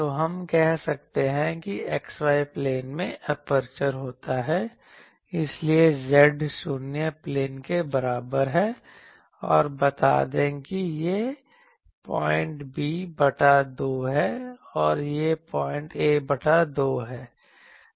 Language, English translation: Hindi, So, that is z is equal to 0 plane and let us say that this point is b by 2 and this point is a by 2